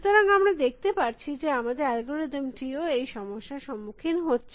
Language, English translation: Bengali, So, we can see, that is what our search algorithm is facing